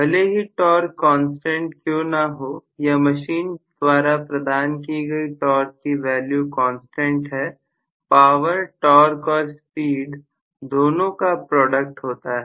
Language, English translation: Hindi, Even though the torque may be a constant or the torque deliverability of the machine is a constant, the power is the product of torque and speed